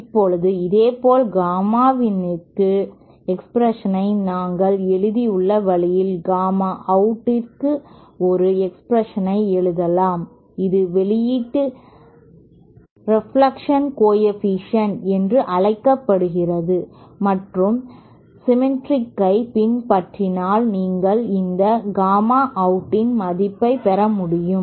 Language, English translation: Tamil, Now similarly in the same way that we have written expression for gamma in we can also write an expression for gamma out which is called output reflection coefficient and just following symmetry you should get the value of this gamma out as